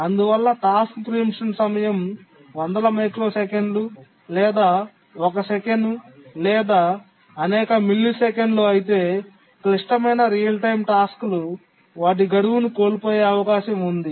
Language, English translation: Telugu, So if the task preemption time is hundreds of microseconds or a second or several milliseconds, then it's likely that the hard real time tasks will miss their deadline